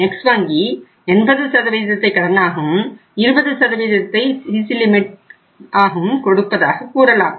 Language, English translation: Tamil, So one bank may say that I will give you 80% loan, 20% CC limit